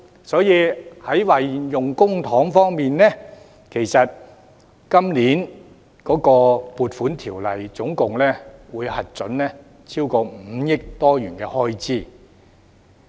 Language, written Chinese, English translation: Cantonese, 在運用公帑方面，《2019年撥款條例草案》總共會核准超過 5,000 億元開支。, As regards the use of public funds the Appropriation Bill 2019 the Bill will authorize a total expenditure of more than 500 billion